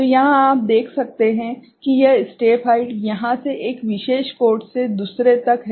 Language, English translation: Hindi, So, here what you can see that this step height is, step height is from here one a particular code to another